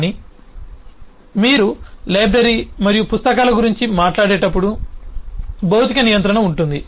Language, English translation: Telugu, but when you talk about library and books, then there is a physical containment